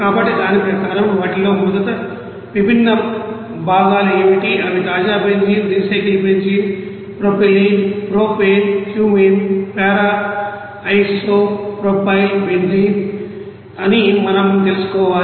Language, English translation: Telugu, So, according to that what are the different components first of all we have to know that they are we you know fresh benzene, recycle benzene you know that propylene, propane, Cumene you know para di isopropyl benzene